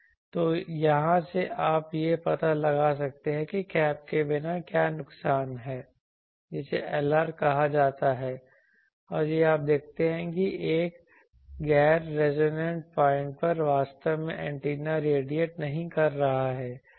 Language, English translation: Hindi, So, from here you can find out what is the loss in without the cap that is calling Lr and these you see that at a non resonant point actually antenna is not radiating